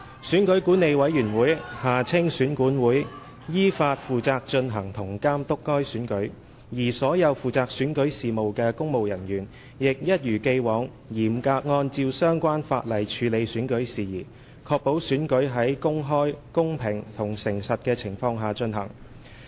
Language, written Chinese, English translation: Cantonese, 選舉管理委員會依法負責進行及監督該選舉，而所有負責選舉事務的公務人員，亦一如既往嚴格按照相關法例處理選舉事宜，確保選舉在公開、公平和誠實的情況下進行。, The Electoral Affairs Commission EAC was responsible for conducting and supervising the election in accordance with the law and all public officers responsible for the electoral affairs had as in the past handled matters relating to the election in strict accordance with the relevant legal provisions with a view to ensuring that the election was held in an open fair and honest manner